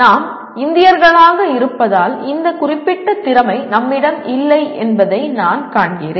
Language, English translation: Tamil, This is somehow as Indians, I find that we do not have this particular skill